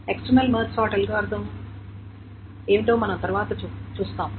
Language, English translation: Telugu, And we will see what the external March sort algorithm next